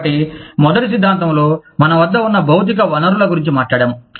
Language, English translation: Telugu, So, in the first theory, we talked about the material resources, that we had